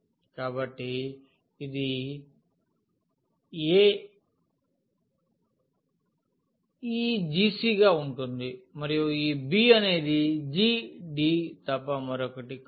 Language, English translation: Telugu, So, this a is going to be this g of c and this b is nothing but g of d